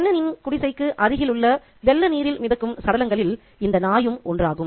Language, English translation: Tamil, The dog itself will become one of the carcasses that will float on the flood waters nearby Chenin's hut